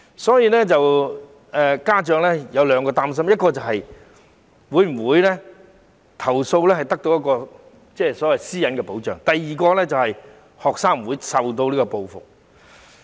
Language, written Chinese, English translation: Cantonese, 所以家長有兩個擔心，第一，投訴會否得到私隱的保障；第二，學生會否遭受報復。, Therefore parents have two concerns First whether their privacy will be protected when they lodge a complaint . Second whether the students will be subject to reprisal